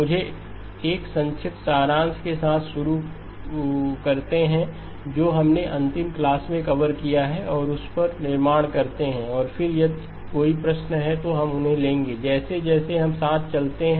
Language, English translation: Hindi, Let me start with a quick summary of what we have covered in the last class and build on that and again if there are questions we will take them as we go along